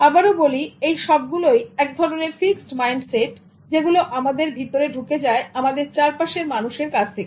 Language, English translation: Bengali, So this is again a kind of fixed mindset that was imposed on us by the people around us